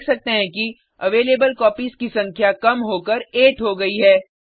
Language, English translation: Hindi, We can see that the number of Available Copies reduces to 8